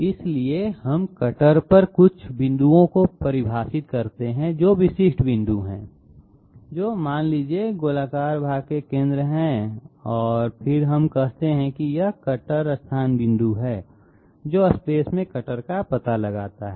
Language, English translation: Hindi, So we define certain points on the cutter which are you know specific points say the centre of the spherical portion and then we say it is a cutter location point, which locates the cutter exactly in space